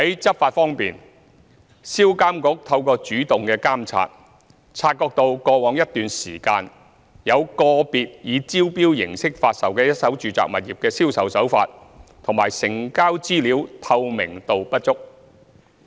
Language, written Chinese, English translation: Cantonese, 執法方面，一手住宅物業銷售監管局透過主動監察，察覺到過往一段時間有個別以招標形式發售的一手住宅物業的銷售手法及成交資料透明度不足。, In respect of law enforcement the Sales of First - hand Residential Properties Authority SRPA has spotted by proactive surveillance that sales practices and the transaction information of some individual first - hand residential properties sold by tender recently were not transparent enough